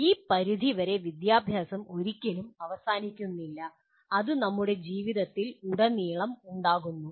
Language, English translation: Malayalam, To this extent education never really ever ends and it runs throughout our lives